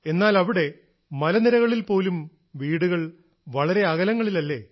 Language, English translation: Malayalam, But there in the hills, houses too are situated rather distantly